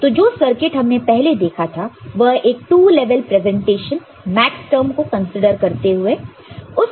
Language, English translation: Hindi, So, the kind of circuit that we had seen before that was two level in presentation consulting all the maxterms